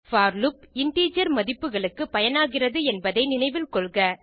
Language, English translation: Tamil, Recall that the for loop is used for integer values